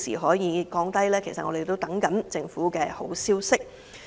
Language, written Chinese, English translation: Cantonese, 我們仍在等候政府的好消息。, We are still waiting for good news from the Government